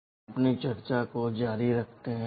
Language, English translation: Hindi, We continue with our discussion